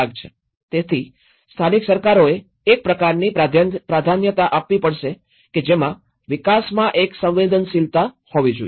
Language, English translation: Gujarati, So, the local governments have to give that kind of priority that you know, one has to be sensitive enough in the development